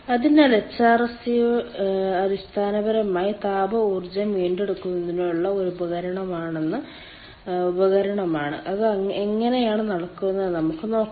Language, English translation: Malayalam, so hrsg is basically a device for ah recovery of thermal energy, and let us see how it is taking place, whether we are doing good work or not